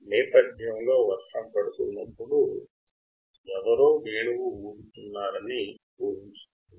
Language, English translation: Telugu, Imagine someone playing flute, while it is raining in the background